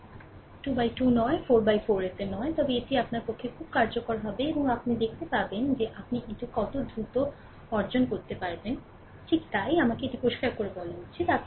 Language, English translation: Bengali, Not 2 into 2 not 4 into 4, but this will be very useful for you and you will see how quickly you can obtain it, right so, that me clean it , right